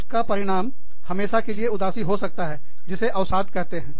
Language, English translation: Hindi, So, that can result in perpetual sadness, which is also called depression